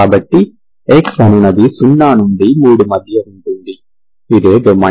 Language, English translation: Telugu, So x is between 0 to 3, this is what is the domain